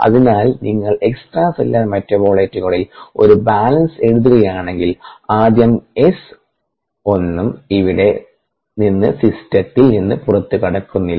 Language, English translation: Malayalam, so if you write a balance on the extracellular metabolites, so if you write a balance on the extracellular metabolites on first, one s naught s naught is getting out of the system here